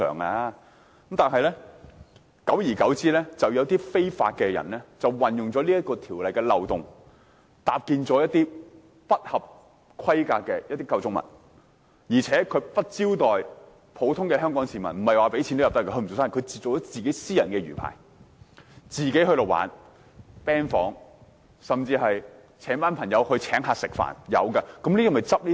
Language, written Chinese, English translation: Cantonese, 然而，久而久之，有些不法人士利用條例漏洞，搭建一些不合規格的構築物，而且不招待香港普通市民，不是付入場費便可以進入，它只是一個私人魚排，供自己玩樂、開 band 房，甚至邀請一群朋友請客吃飯，然後從中收費。, However as time passes some people take advantage of the loopholes in MFCO and do not comply with the law . They build some unauthorized structures on mariculture rafts . And they do not open the rafts to the general public of Hong Kong by charging entrance fees but instead make them private rafts for their own fun and use them as band rooms and they even invite a group of friends to dine there and impose charges